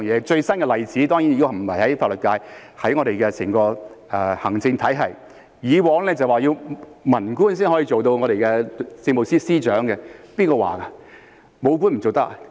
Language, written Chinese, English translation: Cantonese, 最新的例子當然不是法律界，而是整個行政體系，以往說文官才能出任政務司司長，誰說的？, The latest example is of course not the legal profession but the entire administrative system . In the past it was said that only civilian officers could serve as Chief Secretary for Administration . Who said so?